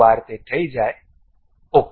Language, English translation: Gujarati, Once it is done, ok